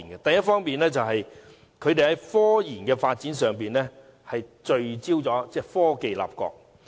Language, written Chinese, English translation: Cantonese, 第一方面，他們在科研發展上聚焦於以科技立國。, First in the development of technology and research they focus on the concept that their country should be founded on technology